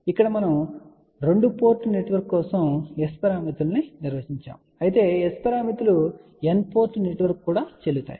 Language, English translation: Telugu, Here we have defined S parameters for 2 port network, but by the way S parameters are valid for n port network also